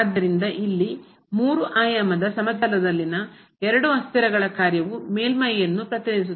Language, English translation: Kannada, So, this a function of two variables in 3 dimensional plane here represents a surface